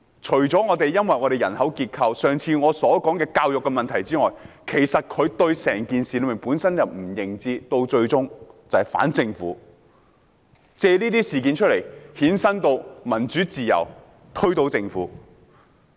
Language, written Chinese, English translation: Cantonese, 除因本港人口結構及我上次提到的教育問題外，其實他們本身對整件事也缺乏認知，最終便是反政府，藉這些事件扯上民主自由，然後推倒政府。, Apart from Hong Kongs demography and the problems with education that I mentioned last time it is actually their lack of knowledge about the whole matter that has eventually prompted them to oppose the Government . They spin these incidents to add democracy and freedom into the equation with a view to bringing down the Government